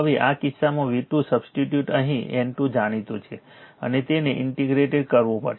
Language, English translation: Gujarati, So now, in this case v 2 you substitute here N 2 is known and you have to integrate